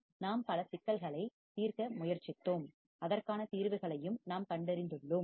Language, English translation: Tamil, And we have tried to solve several problems and we have found the solutions